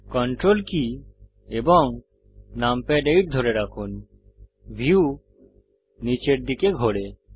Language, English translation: Bengali, Hold Ctrl numpad 8 the view pans downwards